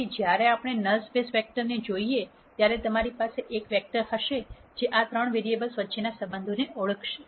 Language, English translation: Gujarati, So, when we look at the null space vector you will have one vector which will identify the relationship between these three variables